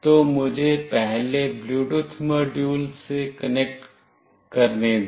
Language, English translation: Hindi, So, let me first connect to the Bluetooth module